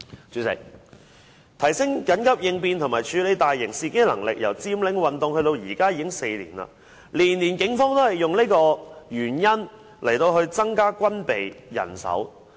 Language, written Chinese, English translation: Cantonese, 主席，提升緊急應變及處理大型事件的能力由佔領運動至今已4年，每年警方也以這個原因來增加軍備及人手。, Chairman it has been four years since the Occupy Central movement and in each of these four years the Police Force also used this reason of enhancing the capability of emergency response and handling major incidents for strengthening its arms and manpower